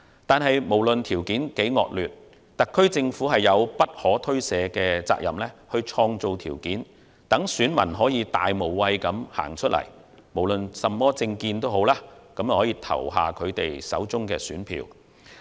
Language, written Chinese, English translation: Cantonese, 不過，無論條件如何惡劣，特區政府都有不可推卸的責任去創造條件，讓選民能以大無畏精神走出來，不論甚麼政見，投下他們手中的一票。, However no matter how difficult the situation is the SAR Government has an unshirkable responsibility to create conditions for voters to come out to vote without fear so that all voters regardless of their political opinions can exercise their right in this respect